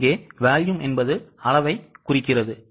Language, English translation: Tamil, Volume here refers to quantity